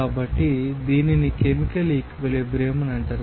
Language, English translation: Telugu, So, this will be called as chemical equilibrium